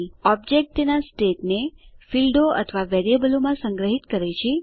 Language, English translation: Gujarati, Object stores its state in fields or variables